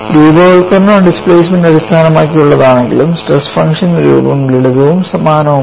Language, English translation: Malayalam, Though the formulation would be based on displacement, the form of the stress function remains simple and same only